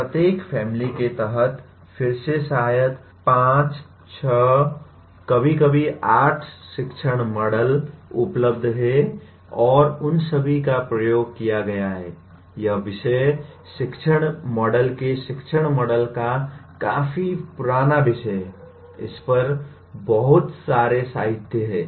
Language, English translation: Hindi, Under each family again there are maybe 5, 6 sometimes 8 teaching models available and all of them have been experimented, this subject being fairly teaching model subject of teaching models is fairly old, there is a whole lot of literature on this